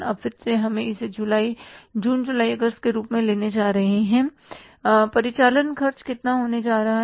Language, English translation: Hindi, Now again we are going to take these as June, July, August and the operating expenses are going to be how much